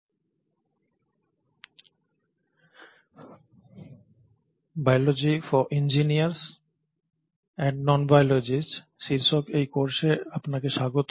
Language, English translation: Bengali, So welcome back to this course on “Biology for Engineers and Non biologists”